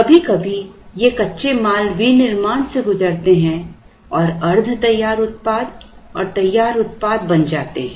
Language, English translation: Hindi, Sometimes these raw material undergo manufacturing and become semi finished of finished products